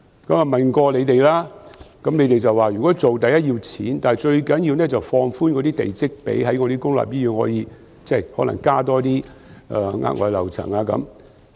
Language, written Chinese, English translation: Cantonese, 我問過當局，當局說如果要做，第一要錢，但最重要的是放寬地積比率，可以在公立醫院加建額外樓層。, I have asked the authorities about this and according to them if this suggestion is to be implemented money will be needed in the first place but most importantly the plot ratio will have to be relaxed so that additional floors can be built in the public hospitals